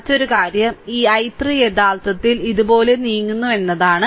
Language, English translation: Malayalam, So, another thing is that this i 3 actually moving like this, right